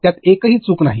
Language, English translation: Marathi, There is not a single mistake in it